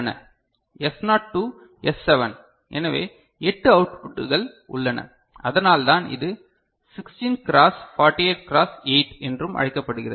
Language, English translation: Tamil, S naught to S7; so, 8 outputs are there, so that is why it is also called 16×48×8 ok